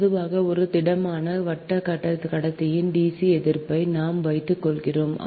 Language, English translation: Tamil, so generally the dc resistance of a solid round conductor is given by: we put r